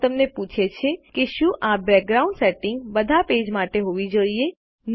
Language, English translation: Gujarati, Draw asks you if this background setting should be for all pages